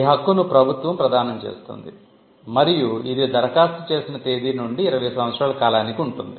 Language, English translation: Telugu, This right is conferred by the government and it is for a period of 20 years from the date of application